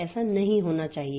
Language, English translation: Hindi, So, that should not happen